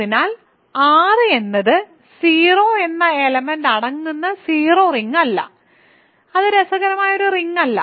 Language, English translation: Malayalam, So, R is not the zero ring consisting of just the element 0, that is not an interesting ring